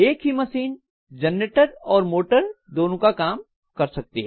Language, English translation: Hindi, So the same machine can work as generator as well as motor